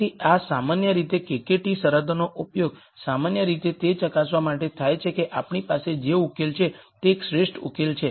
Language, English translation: Gujarati, So, in general the KKT conditions are generally used to verify if a solution that we have is an optimal solution